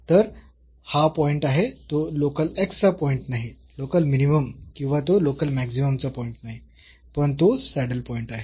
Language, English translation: Marathi, So, this point is a point of it is not a point of local x, local minimum or it is not a point of local maximum, but it is a saddle point